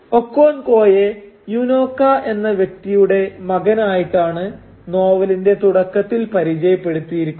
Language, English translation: Malayalam, Now Okonkwo is introduced early in the novel as the son of a person called Unoka